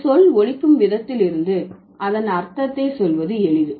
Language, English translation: Tamil, From the way a word sounds it is easy to tell what it means